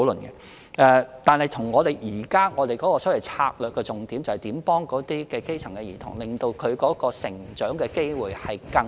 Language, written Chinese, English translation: Cantonese, 然而，我們現時的策略重點是幫助基層兒童，令他們有更平等的成長機會。, Nevertheless our current strategy emphasizes on helping grass - roots children through creating more equal development opportunities for them